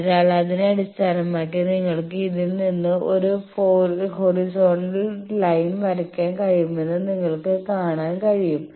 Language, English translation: Malayalam, So, that you can see that based on that you can draw a horizontal line suppose from this